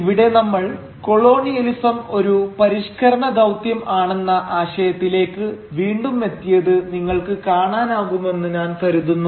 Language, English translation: Malayalam, And here, I think you can realise that we are back again to the idea of colonialism as a civilising mission